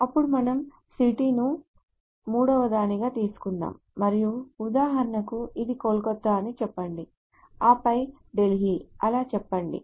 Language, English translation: Telugu, Then let us take the third one which is city and let us for example let us say this is Kolkata then maybe Delhi so on so forth